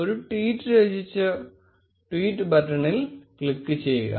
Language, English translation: Malayalam, Compose a tweet and simply click on the tweet button